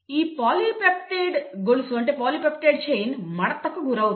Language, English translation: Telugu, This polypeptide chain will undergo foldin